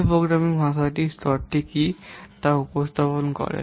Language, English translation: Bengali, L represents the what the level of the programming language